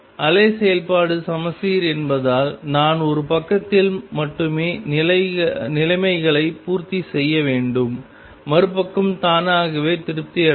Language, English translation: Tamil, Since the wave function is symmetric I need to satisfy conditions only on one side the other side will be automatically satisfied